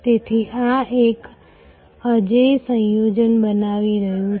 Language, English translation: Gujarati, So, this is creating an unbeatable combination